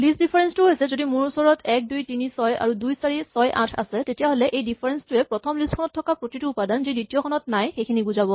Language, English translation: Assamese, If I have say 1, 2, 3, 6 and I have 2, 4, 6, 8 then this difference is all the elements in the first list which are not there in the second list